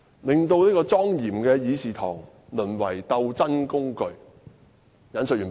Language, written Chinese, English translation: Cantonese, 令莊嚴的議事堂淪為鬥爭工具"。, As a result they have turned this solemn Council into a platform for political struggles